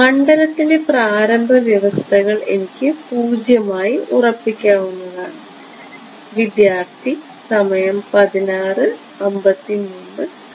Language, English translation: Malayalam, Initial conditions on the field I can set to 0